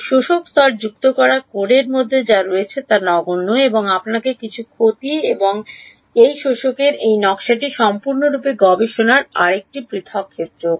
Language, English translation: Bengali, Adding a absorbing layer is trivial what is there in a in code right you have to introduce some loss and this design of this absorbers is a another separate area of research altogether